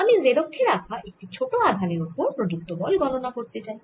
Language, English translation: Bengali, i want to calculate the force on the on a charge, small q, kept on the z axis